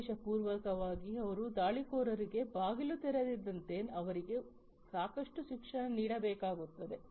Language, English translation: Kannada, So, they will have to be educated enough so that unintentionally they do not open the doors for the attackers